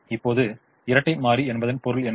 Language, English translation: Tamil, now, what is the meaning of the dual